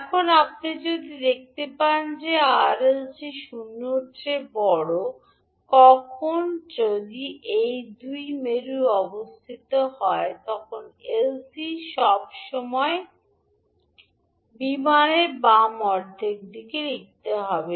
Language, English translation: Bengali, Now if you see that the R, L, C is greater than 0, when, if this is the condition the 2 poles will always write in the left half of the plane